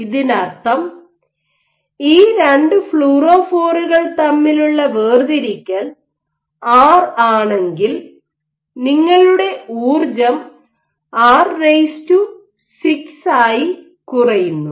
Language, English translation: Malayalam, Which means if r is the separation between these 2 fluorophores your energy will decrease reduce as r to the power 6